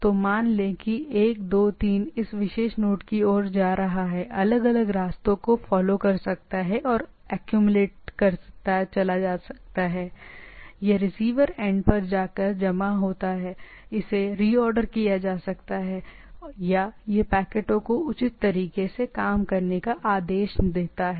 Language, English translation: Hindi, So, say 1 2 3 going towards this particular node can follow different paths and go on accumulating, go on this at the receiver end it accumulates or it order the packets in the things in a proper way